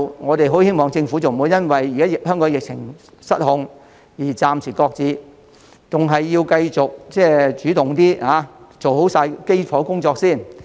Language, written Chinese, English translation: Cantonese, 我們很希望政府不要因為現時香港的疫情失控，便暫時擱置健康碼，反而應該繼續主動做好基礎工作。, We very much hope that the Government will not shelve the Health Code because the pandemic in Hong Kong is now out of control . But rather it should proactively continue the foundation work in this respect